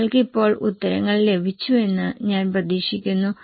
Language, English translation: Malayalam, I hope you have got the answers now